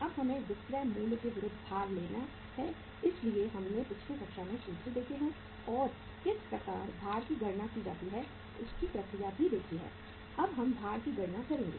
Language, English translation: Hindi, now we have to take the weights against the selling price so we have seen the formulas and the way the process how to calculate the weights in the previous class and now we will calculate the weights here